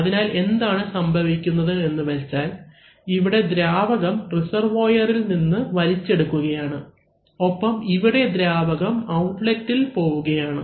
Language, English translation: Malayalam, So, what is happening is that, here the fluid is being sucked in from the reservoir and here the fluid is getting delivered into the outlet